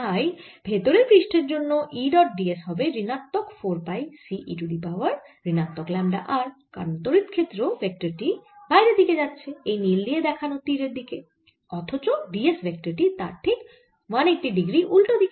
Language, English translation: Bengali, so e dot d s for the inner surface is going to be minus four pi c e raise to minus lambda r, because the vector unit vector, the electric field vector, is going out, going the way that the blue lines are showing, and the d